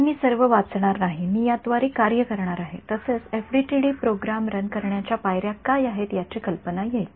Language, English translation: Marathi, So, I would not read through all of this I will just working through this we will also get an idea of how to what are the steps in running an FDTD program ok